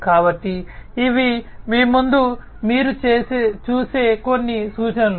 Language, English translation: Telugu, So, these are some of the references that you see in front of you